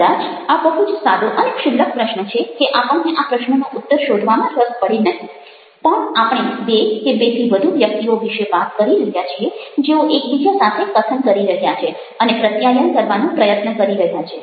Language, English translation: Gujarati, probably this is such a simple, silly question that we may not be interested to find the answer to this question, but we are talking about either two people or more than two people who was speaking with one another and trying to may be communicate